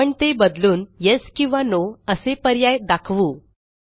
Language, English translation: Marathi, We will change this to show a friendlier Yes or No option